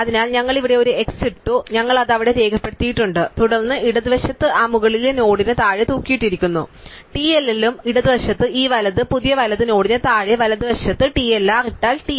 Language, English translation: Malayalam, So, we put an x here and we have moved it there and then we have hang off below that top node on the left we put TLL and below this right new right node on the left if put TLR on the right would TR